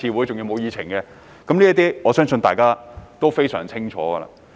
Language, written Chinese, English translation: Cantonese, 這些事我相信大家都非常清楚。, I trust that Members are well aware of the situation